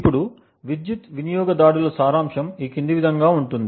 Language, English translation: Telugu, Now the essence of power consumption attacks is the following